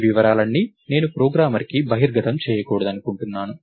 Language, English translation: Telugu, All these details I don't want to expose it to the programmer